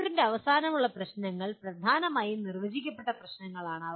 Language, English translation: Malayalam, End of the chapter problems are dominantly well defined problems